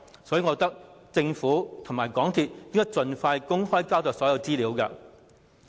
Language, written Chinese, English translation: Cantonese, 所以，我認為政府和港鐵公司應該盡快公開所有資料。, Hence I think the Government and MTRCL should make public all the information as soon as possible